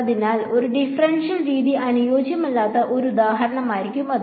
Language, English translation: Malayalam, So, that would be an example where a differential method is not suitable